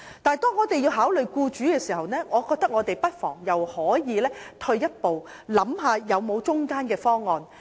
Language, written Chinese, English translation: Cantonese, 但當我們要從僱主的角度考慮時，我認為我們不妨退一步想想有否中間方案。, But when we have to put ourselves in the shoes of employers I think we may as well step back and think about whether there is a middle - of - the - road option